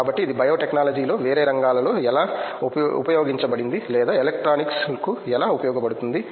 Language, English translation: Telugu, So, how it actually used for a different fields in same in the biotechnology or how to electronics and